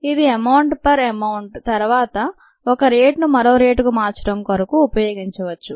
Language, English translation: Telugu, it is essentially amount per amount and then they can be used to convert one rate into the other